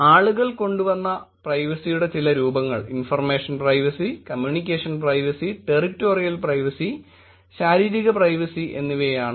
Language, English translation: Malayalam, Some forms of privacy that people have come up with; information privacy, communication privacy, territorial privacy and bodily privacy